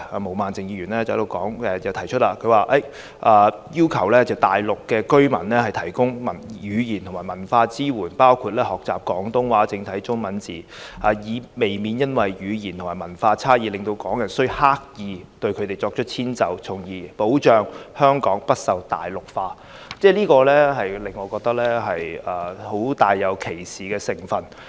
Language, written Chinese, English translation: Cantonese, 毛孟靜議員提出要向大陸居民"提供語言及文化支援，包括學習廣東話及正體中文字，以避免因為語言及文化差異而令港人需刻意對他們作出遷就，從而保障香港不受'大陸化'"，我認為這建議帶有很強烈的歧視成分。, Ms Claudia MO proposes in her amendment to provide language and cultural support including learning Cantonese and traditional Chinese characters to Mainland residents so as to avoid Hong Kong people having to deliberately accommodate them due to language and cultural differences with a view to safeguarding Hong Kong from Mainlandization